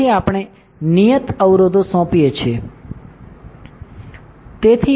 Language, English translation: Gujarati, So, we are assign the fixed constraints, correct